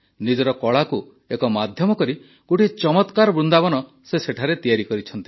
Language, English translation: Odia, Making her art a medium, she set up a marvelous Vrindavan